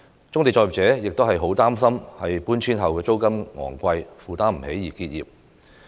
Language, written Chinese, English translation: Cantonese, 棕地作業者亦很擔心負擔不起搬遷後的昂貴租金而結業。, Brownfield operators are also worried that they will have to cease business as they are unable to afford the expensive rent after the relocation